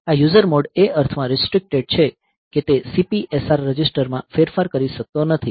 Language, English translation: Gujarati, So, this user mode is restricted in the sense that it cannot modify the CPSR register ok